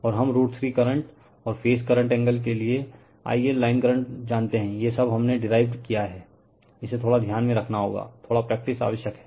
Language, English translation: Hindi, And we know I line current to root 3 current and phase current angle minus these all we have derived, little bit you have to keep it in your mind right little bit practice is necessary